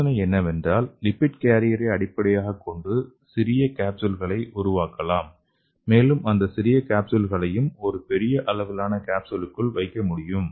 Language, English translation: Tamil, So the idea is we can make a small, small capsules based on lipid carriers okay, and we can put those small capsules with a big size capsule